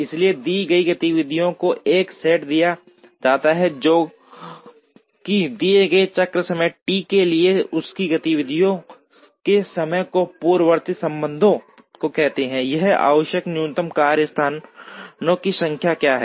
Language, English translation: Hindi, So, given a set of activities that have to be performed, given their activity times and the precedence relationships, for a given cycle time T what is a minimum number of workstations it is required